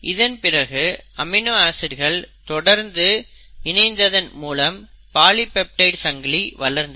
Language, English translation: Tamil, And then the amino acids keep on getting added onto this growing chain of polypeptide